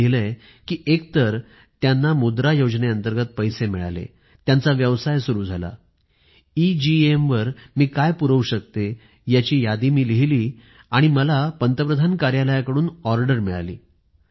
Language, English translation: Marathi, She has written that she got the money from the 'Mudra' Scheme and started her business, then she registered the inventory of all her products on the EGEM website, and then she got an order from the Prime Minister's Office